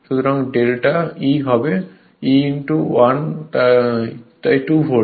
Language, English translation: Bengali, So, delta E will be 1 into 2